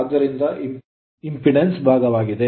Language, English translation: Kannada, So, that is why impedance part is there right